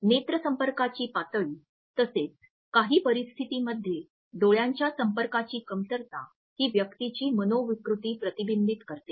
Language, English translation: Marathi, The level of eye contact as well as in some situations and absolute lack of eye contact reflects the persons psychiatric or neurological functioning